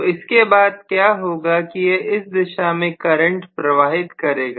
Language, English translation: Hindi, So what is going to happen is this will start passing a current in this direction